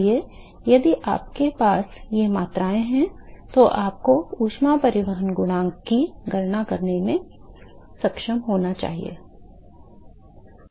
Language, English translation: Hindi, So, if you these quantity you should be able to calculate the heat transport coefficient